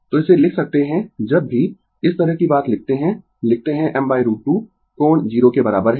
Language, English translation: Hindi, So, you can write this, whenever we write such thing we write I is equal to I m by root 2 angle 0